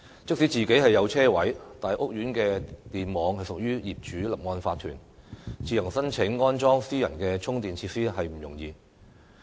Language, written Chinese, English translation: Cantonese, 即使自己擁有車位，但屋苑的電網屬於業主立案法團，自行申請安裝私人充電設施亦不容易。, Some EV owners have their own parking space but the electric networks in their housing estates belong to the owners corporations . It is therefore not easy at all for them to apply for installation of private EV charging facilities